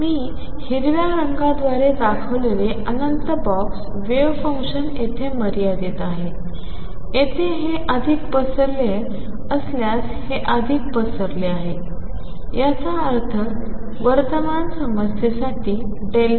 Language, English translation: Marathi, Infinite box wave function I show by green most confined here goes confined here, here this is more spread out if this is more spread out; that means, delta x for current problem